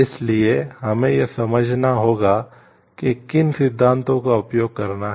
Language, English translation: Hindi, So, we have to understand like which theories to use